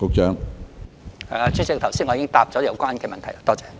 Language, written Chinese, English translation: Cantonese, 主席，我剛才已經回答有關問題。, President I have already answered that question